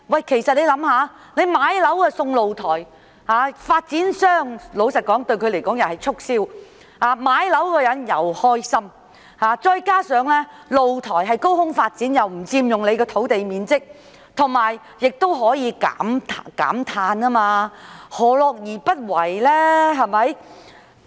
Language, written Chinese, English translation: Cantonese, 試想想，老實說，買樓送露台對發展商來說有助促銷，買樓的人亦會開心，再加上露台是高空發展，不佔用土地面積，亦可以減碳，何樂而不為？, Just think to be honest the offer of a free balcony with the purchase of a flat would facilitate the developers sales promotion and make prospective buyers happy at the same time and the balcony built off ground takes up no land area and even helps reduce carbon emissions so it would not go amiss to offer it right?